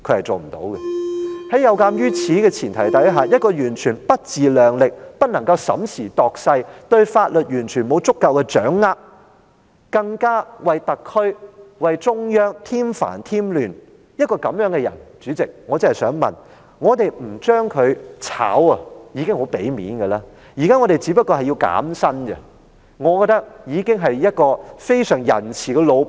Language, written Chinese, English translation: Cantonese, 在這個前提下，一位完全不自量力、不能審時度勢、對法律沒有足夠掌握，更加為特區和中央添煩添亂的人，主席，我想說，我們不解僱他已經很給面子了，我們現時只是提出削減他的薪酬，我認為大家已經是相當仁慈的老闆。, In addition to being completely unaware of his own failings unable to take stock of the situation and unversed in legal matters he brings trouble and chaos to the Special Administrative Region and the Central Authorities . Under this premise Chairman I would say that by not firing him we have already let him save a lot of face . Now that we just propose to deduct his emoluments I think we are rather benevolent bosses in every sense